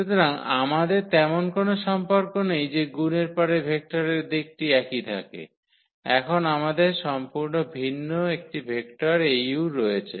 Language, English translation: Bengali, So, we do not have such relation that after multiplication the vector direction remains the same, we have a completely different vector now Au